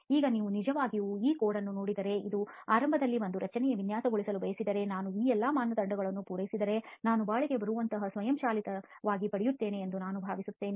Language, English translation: Kannada, Now if you really look at this code and want to design a structure in the beginning you may think that okay if I satisfy all these criteria I will automatically get something which is durable